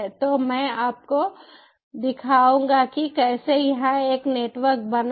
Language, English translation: Hindi, so i will show you how to create a network here